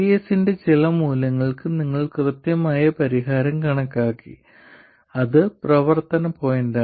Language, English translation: Malayalam, For some value of VS you have calculated the exact solution that is the operating point